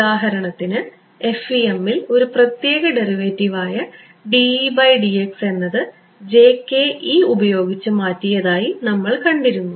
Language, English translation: Malayalam, Then you saw that for example, in your FEM the special derivative dE by dx was replaced by jkE